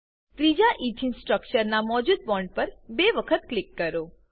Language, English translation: Gujarati, Click on the existing bond of the second Ethane structure